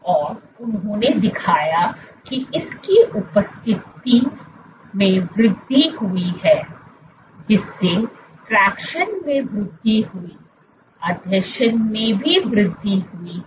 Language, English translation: Hindi, And they showed that in the presence of this, there was an increase this led to increased tractions, increased adhesion